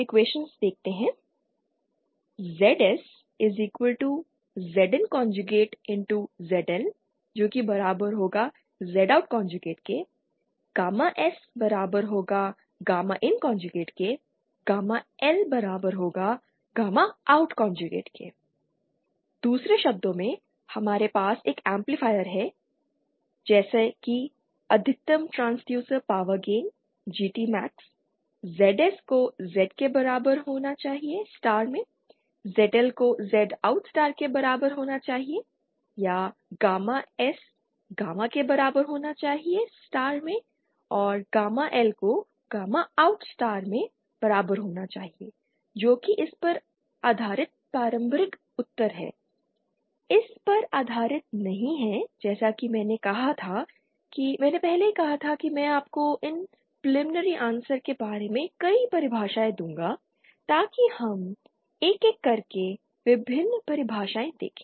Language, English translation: Hindi, In other words suppose we have an amplifier like this so preliminary answer for maximum transducer power gain GT max will be ZS should be equal to Z in star and ZL should be equal to Z OUT star or gamma S should be equal to gamma in star and gamma L should be equal to gamma OUT star that is the preliminary answer based on this not based on this as I said I had said earlier that I would give you a number of definitions about these power gains so let us now one one one by one see the various definitions